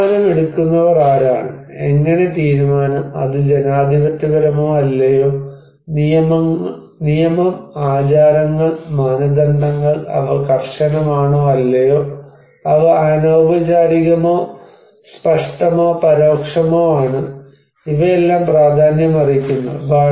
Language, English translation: Malayalam, The process it depends on who are the decision makers and how the decision, is it very democratic or not, law, customs, norms, they are strict or not, they are formal or informal, explicit or implicit, these all matter